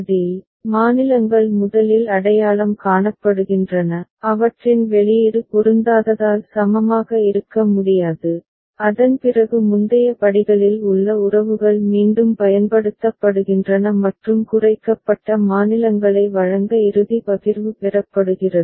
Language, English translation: Tamil, And in it, states are identified first which cannot be equivalent as their output is not matched and after that the relationships in previous steps are used iteratively and final partition is obtained to provide minimized states